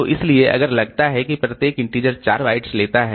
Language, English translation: Hindi, So, so if I assume that each integer takes say 4 bytes, so it takes 4 bytes